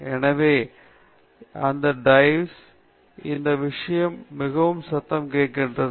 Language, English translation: Tamil, So, it it dives and this thing such that it makes very little noise